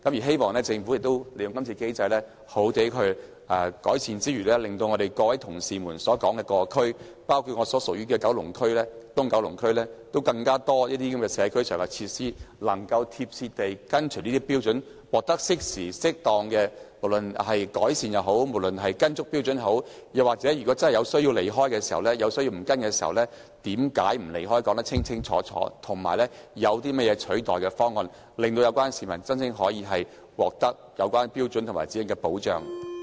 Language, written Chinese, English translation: Cantonese, 希望政府利用今次機會，好好地作出改善，令到各位同事提及的各區，包括我所屬的東九龍區有更多社區設施能夠緊貼《規劃標準》得到改善或獲得適時、適當的處理；又或是當局真有需要偏離《規劃標準》，便須把偏離的理由說得清清楚楚，以及有些甚麼替代方案，令到市民真正可以藉《規劃標準》而獲得保障。, I hope the Government can take this opportunity to make improvements so that more community facilities in various districts mentioned by Members including East Kowloon the constituency to which I belong will be enhanced or provided promptly and appropriately to strictly comply with HKPSG . In cases where there is a real need for the authorities to deviate from HKPSG I hope that clear explanations and alternative proposals will be given so that the publics interests will truly be safeguarded under HKPSG